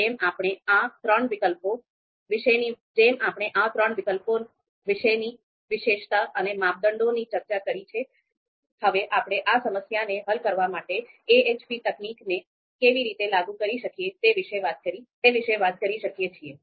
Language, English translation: Gujarati, So given the characterization that I have given and the criteria that I have talked about and these three alternatives, now we will talk about how we can apply AHP technique to solve this problem